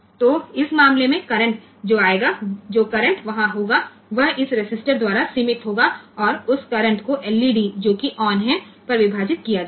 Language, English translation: Hindi, So, the current that will be there so, that will be limited by this resistance and that current will be divided among the LEDs that will be on